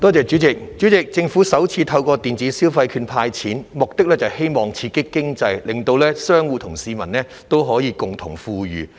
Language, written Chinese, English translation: Cantonese, 主席，政府首次透過電子消費券"派錢"，目的是希望刺激經濟，令商戶和市民都可以共同富裕。, President by handing out money through electronic consumption vouchers for the first time the Government is aiming at stimulating the economy to bring about common prosperity for both businesses and the public